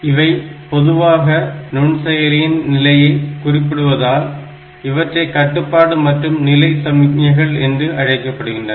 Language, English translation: Tamil, And they are in general known as the control and status signals, because that talked about the status of the microprocessor